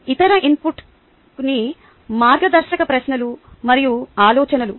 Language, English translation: Telugu, the other input is some guiding questions and thoughts